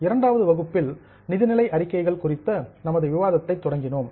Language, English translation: Tamil, In the second session we started with our discussion on financial statements